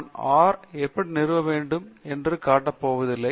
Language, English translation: Tamil, I am not going to show you how to install R